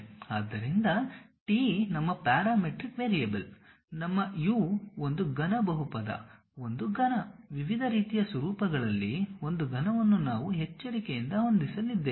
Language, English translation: Kannada, So, t is our parametric variable, like our u, a cubic polynomial, a cubic, a cubic, a cubic in different kind of formats we are going to carefully adjust